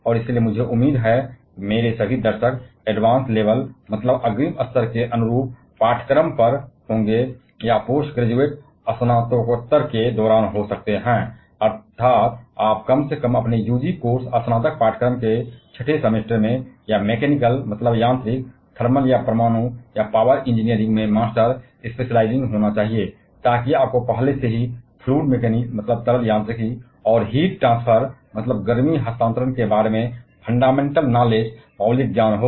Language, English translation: Hindi, And therefore, I would expect the entire audience of mine to be either at the advance level of your analogy curriculum or may be during a post graduate; that is, you must be at least at the six semester of your UG course or a may during a master specializing in mechanical, thermal or nuclear or power engineering so that you already have the fundamental knowledge about fluid mechanics and heat transfer